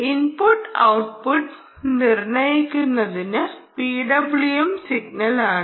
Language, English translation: Malayalam, right input output is determined by the p w m signal